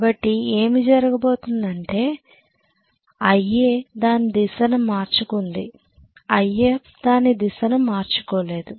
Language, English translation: Telugu, So what is going to happen is IA has reversed its direction, IF has not reversed its direction